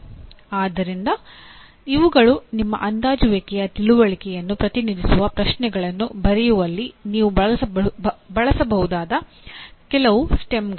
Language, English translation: Kannada, So these are some of the STEMS that you can use in writing questions representing understanding in your assessment